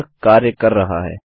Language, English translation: Hindi, Its not working